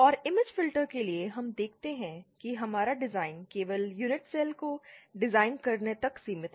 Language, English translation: Hindi, And for image filters we see this that our design is limited to just designing the unit cells